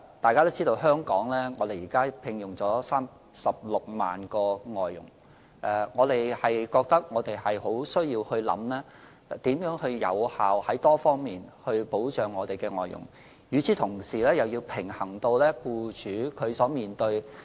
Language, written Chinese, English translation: Cantonese, 大家知道香港現時聘用了36萬名外傭，當局認為我們需要考慮怎樣多方面有效地保障外傭，同時又要平衡僱主所面對的情況。, We all know that a total of 360 000 FDHs are hired in Hong Kong . We have to consider how to effectively protect these FDHs in various ways and at the same time strike a balance between protecting FDHs and paying heed to various situations faced by employers